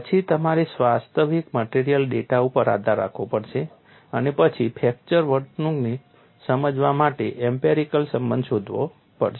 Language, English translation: Gujarati, So, partly it is a physics based then you have to depend on actual material data and then find out a empirical relationship to explain the fracture behavior